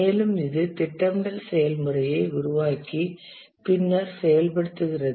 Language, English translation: Tamil, And this forms the planning process and then comes the execution